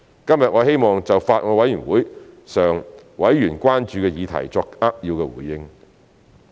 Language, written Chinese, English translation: Cantonese, 今天我希望就法案委員會上委員關注的議題作扼要回應。, Today I would like to respond succinctly to the concerns expressed by members of the Bills Committee